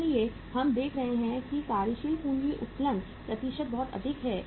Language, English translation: Hindi, So we are seeing that working capital leverage percentage is very high